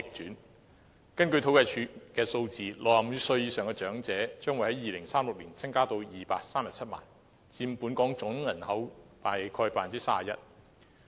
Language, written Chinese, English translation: Cantonese, 根據政府統計處的數字 ，65 歲以上長者的人數，將會在2036年增至237萬，佔本港總人口約 31%。, According to statistics provided by the Census and Statistics Department the number of elderly persons aged above 65 will increase to 2.37 million in 2036 contributing to about 31 % of the total population in Hong Kong